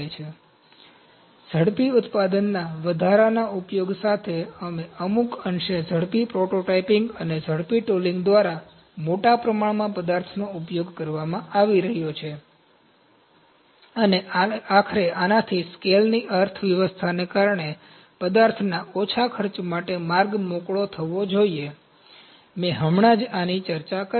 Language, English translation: Gujarati, So, with the increase use of rapid manufacture and to some extent rapid prototyping and rapid tooling larger volumes of material are being used, and ultimately this should pave the way for lower material costs due to economies of scale, this is what I just discussed